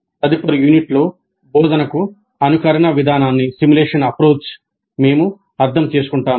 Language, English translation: Telugu, And in the next unit we understand simulation approach to instruction